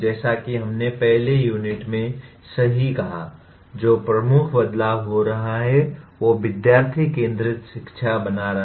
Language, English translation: Hindi, As we said right in the first unit, the major shift that is taking place is making the education student centric